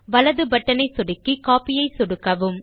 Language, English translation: Tamil, Now right click on the mouse and click on the Copy option